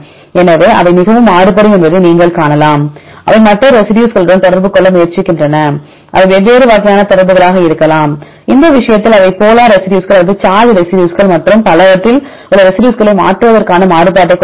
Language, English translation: Tamil, So, you can see they are highly variable, they try to interact to other residues right may be different types of interactions in this case they have the variability to change the residues among the polar residues or charge residues and so on